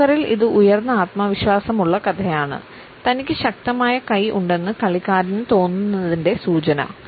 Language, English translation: Malayalam, In poker, it is a high confidence tale a signal that the player feels he has a strong hand